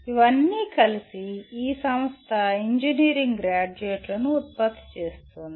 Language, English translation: Telugu, And these together, this institute produces engineering graduates